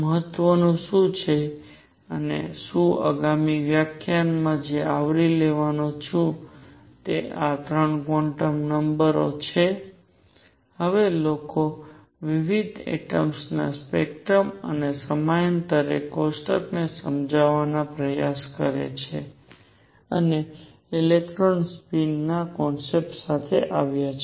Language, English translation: Gujarati, What is important and what I am going to cover in the next lecture is having these 3 quantum numbers now people try to explain the spectrum of different atoms and also the periodic table and came up with the concept of electron spin